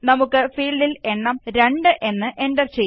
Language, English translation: Malayalam, Let us enter the value 2 in the field